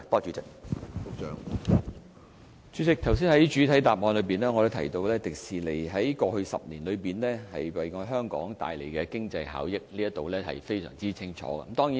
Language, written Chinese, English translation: Cantonese, 主席，我剛才在主體答覆裏已提及迪士尼在營運首10年為香港帶來的經濟效益，這方面是非常清楚的。, President just now I have mentioned in the main reply the economic benefits HKDL has brought to Hong Kong in its first 10 years of operation . That is very clear